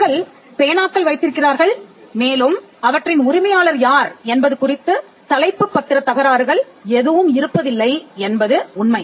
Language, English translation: Tamil, And the fact that pens are possessed by people, we do not have title disputes with regard to ownership of pens